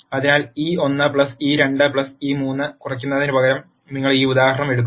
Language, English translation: Malayalam, So, you take this example instead of minimizing e 1 plus e 2 plus e 3